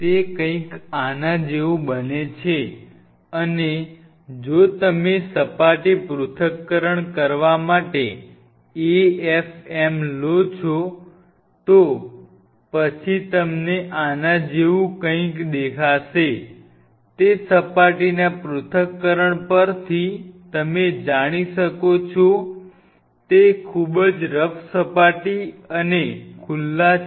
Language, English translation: Gujarati, It something become like this and if you take the AFM tip to do a surface analysis then what you will see something like this, it is a very kind of you know rough surface, upon surface analysis and they are exposed